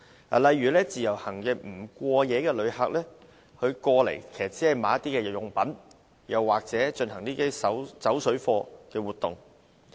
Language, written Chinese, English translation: Cantonese, 舉例而言，自由行的不過夜旅客來港只是購買日用品，又或進行"走水貨"活動。, For instance non - overnight visitors under the Individual Visit Scheme only come to Hong Kong to purchase daily necessities or carry out parallel trading activities